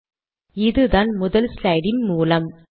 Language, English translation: Tamil, Lets go to the third slide